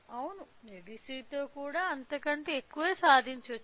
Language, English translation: Telugu, Yes, it can also be achieved with even higher with ADC